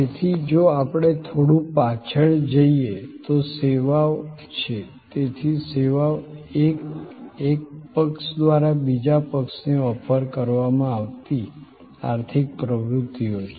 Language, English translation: Gujarati, So, services are if we go back a little bit, so services are economic activities offered by one party to another